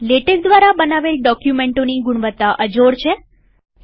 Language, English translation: Gujarati, The quality of documents produced by latex is unmatched